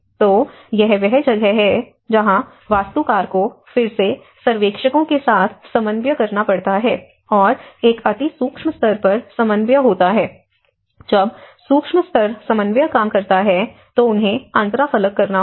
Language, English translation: Hindi, So, this is where architect has to again coordinate with the surveyors and there is a macro level coordination, when micro level coordination works they have to interface